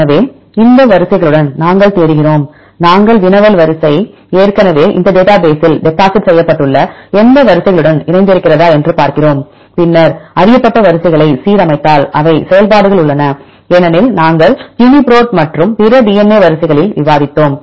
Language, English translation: Tamil, So, we search with these sequences and see whether your query sequence is aligned with any of the sequences deposited already in this database, then if the align known sequences they have functions because we discussed in the uniprot and the other DNA sequences